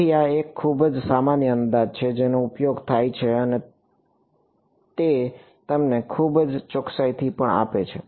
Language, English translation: Gujarati, So, this is a very common approximation that is used and that gives you very good accuracy also